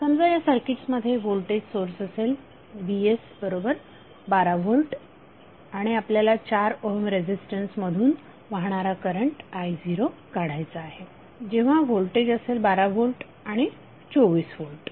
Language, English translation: Marathi, Suppose the voltage source Vs is 12 volt in this circuit and we have to find out the value of current I0 flowing through 4 ohm resistance when voltage is 12 volt and when voltage is 24 volt